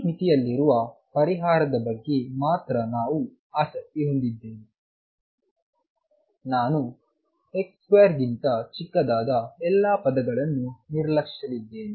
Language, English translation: Kannada, Since we are only interested in the solution which is true in this limit, I am going to ignore any terms that are smaller than x square